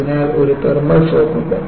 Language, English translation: Malayalam, So, that is a thermal shock